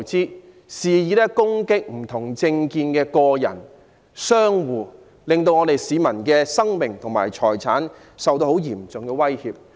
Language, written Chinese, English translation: Cantonese, 他們肆意攻擊不同政見的人士及商戶，令市民的生命和財產受到嚴重威脅。, The wanton attacks on people and shops with different political views have seriously threatened the lives and properties of the public